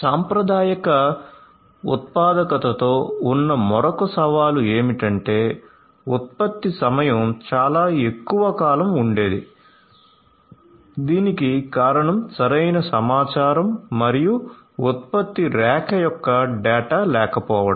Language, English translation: Telugu, The other challenge with traditional manufacturing was that the production time itself used to be much more extended, this is because of lack of proper information and data of the production line